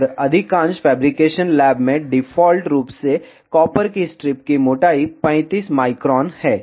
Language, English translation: Hindi, And by default in most of the fabrication lab the thickness of copper strip is 35 micron